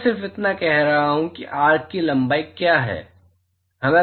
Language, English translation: Hindi, All I am saying is what is length of the arc